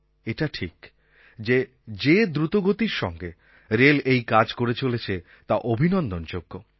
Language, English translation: Bengali, There is no doubt that the swift manner in which Indian Railways has acted is praiseworthy